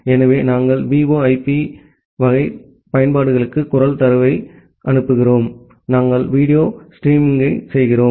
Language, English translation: Tamil, So, we are transmitting voice data over VoIP type of applications, we are doing video streaming